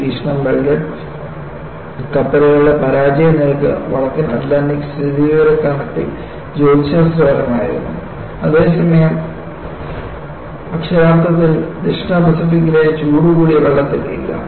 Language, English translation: Malayalam, And observation was, the failure rate of the welded ships was statistically astronomical in the North Atlantic, while literally, nonexistent in the warm waters of the South Pacific